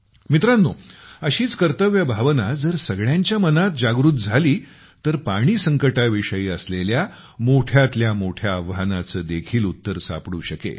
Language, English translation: Marathi, Friends, if the same sense of duty comes in everyone's mind, the biggest of challenges related to water crisis can be solved